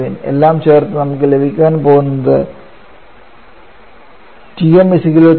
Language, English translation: Malayalam, We are going to get Tm to be equal to 32